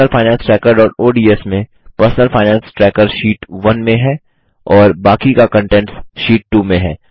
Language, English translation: Hindi, In Personal Finance Tracker.ods the personal finance tracker is in Sheet 1 and the rest of the content is in Sheet 2